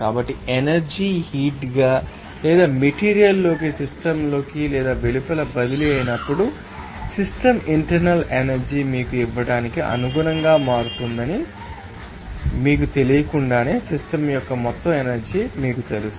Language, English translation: Telugu, So, when energy transfers as work as heat or with matter into or out of the system, the system internal energy will change accordingly to give you that, you know total energy of the system without you know destroying